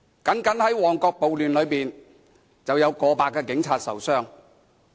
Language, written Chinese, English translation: Cantonese, 單是在旺角暴亂中，便有過百名警察受傷。, In the Mong Kok riot alone over a hundred policemen were injured